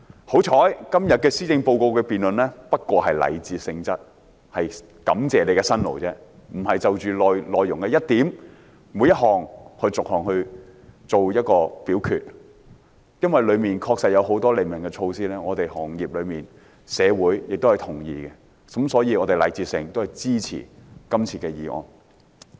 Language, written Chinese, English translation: Cantonese, 幸好今天的施政報告辯論只是禮節性質，只是感謝特首的辛勞，並非就內容的每一點、每一項逐一作出表決；而由於其中確實有很多利民措施是業內人士及社會同意的，所以我們禮節上會支持今次的致謝議案。, It is fortunate that the debate on the Policy Address today is only a gesture of courtesy to show our gratitude to the Chief Executives hard work and we are not supposed to vote on each item or measure mentioned in it . Since there are indeed many initiatives which are of benefit to the public and agreeable to the people in the industries and the community as a gesture of appreciation we will support this Motion of Thanks